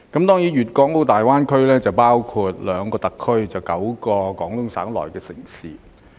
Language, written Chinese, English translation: Cantonese, 大灣區包括兩個特區及9個廣東省城市。, GBA comprises two Special Administrative Regions and nine municipalities of the Guangdong Province